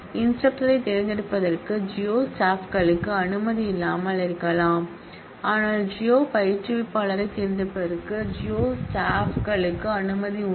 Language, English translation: Tamil, The geo staff may not have permission to do select on instructor, but the geo staff has permission to select on geo instructor